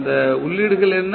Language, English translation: Tamil, What are those inputs